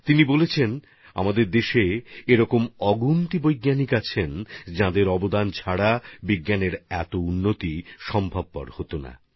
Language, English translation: Bengali, Snehil ji has written that there are many scientists from our country without whose contribution science would not have progressed as much